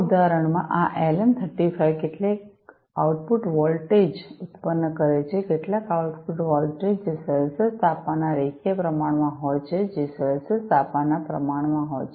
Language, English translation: Gujarati, In this example, this LM 35 produces some output voltage; some output voltage, which is linearly proportional to the Celsius temperature, which is proportional to the Celsius temperature